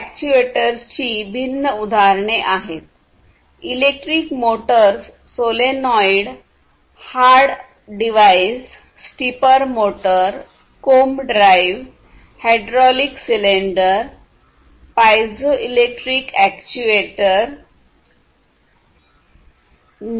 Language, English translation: Marathi, These are different, different examples electric motors, solenoid valves, hard drives, stepper motor, comb drive, then you have hydraulic cylinder, piezoelectric actuator, pneumatic actuators, these are different, different types of actuators